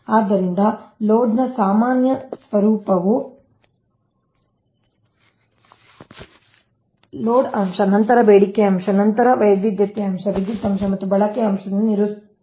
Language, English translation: Kannada, right next is that load characteristics, so general nature of load, is characterized by load factor, then demand factor, then diversity factor, power factor and utilization factor